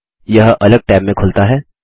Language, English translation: Hindi, It opens in a separate tab